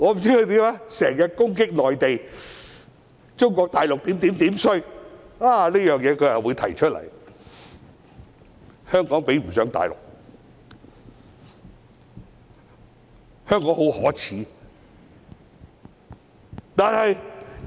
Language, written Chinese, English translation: Cantonese, 他經常攻擊內地，說中國大陸如何差，但他卻說出這情況，指香港比不上大陸，香港很可耻。, He often lashes out at the Mainland speaking about how awful Mainland China is but then he pointed out this situation saying that it was a real shame for Hong Kong to compare unfavourably with the Mainland